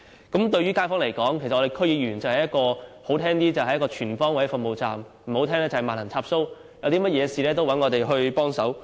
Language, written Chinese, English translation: Cantonese, 區議員對於街坊而言，說得好聽點是"全方位服務站"，說得難聽點就是"萬能插蘇"，所有事情也會找我們幫忙。, For residents to put it mildly DC members are to all intents and purposes full - service stations and to put it bluntly are universal adaptors and they will come to us for help almost over everything